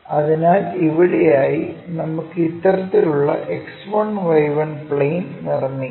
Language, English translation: Malayalam, So, somewhere here we make such kind of X1 Y1 plane